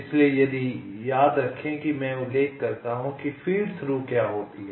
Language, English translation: Hindi, so recall i mention what is the feed through